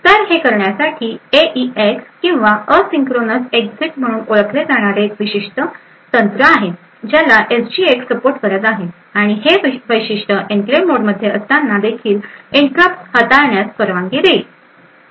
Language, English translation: Marathi, So, in order to do this there is a special technique known as the AEX or the Asynchronous Exit which is supported by SGX and this feature would actually permit interrupts to be handled when in enclave mode as well